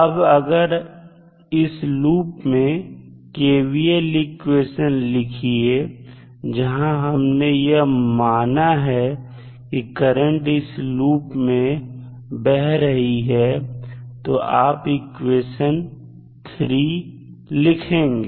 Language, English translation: Hindi, Now, if you write kvl around this particular loop where we are assuming that current I is flowing in this particular loop